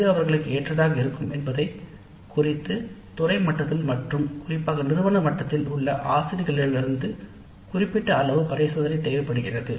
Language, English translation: Tamil, It does require certain amount of experimentation from the faculty at the department level, probably at the institute level also to see what works best for them